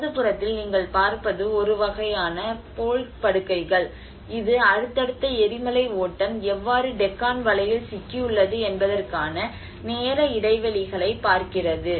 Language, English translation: Tamil, On the right hand side what you see is a kind of Bole beds which is actually look at the time intervals of how these successive lava flows have been trapped in the Deccan Trap you know